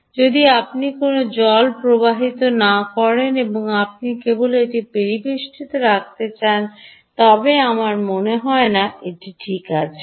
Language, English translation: Bengali, but if there is no water flowing and you just want to keep it in ambient, i dont think it will work